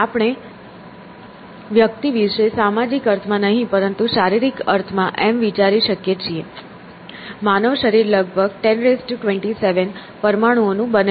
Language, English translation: Gujarati, So, we can think of a person or person not in the social sense, but in the physical sense; a human body is made up of about 10 raise to 27 atoms